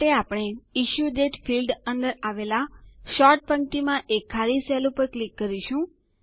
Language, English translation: Gujarati, For this, we will click on the empty cell in the Sort row, under the Issuedate field